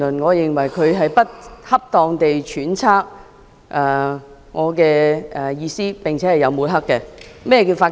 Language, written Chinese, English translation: Cantonese, 我認為他不恰當地揣測我的意圖，並有抹黑之嫌。, I think he has inappropriately speculated on my motive and smeared me